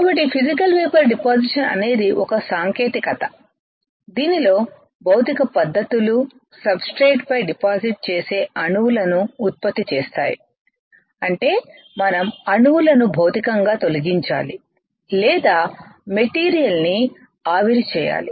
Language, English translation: Telugu, So, Physical Vapor Deposition is a technique right in which physical methods produce the atoms that deposit on the substrate; that means, we have to physically dislodge the atoms right or vaporize the material